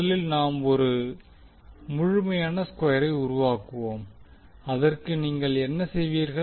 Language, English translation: Tamil, We first create the complete square, so to do that what we will do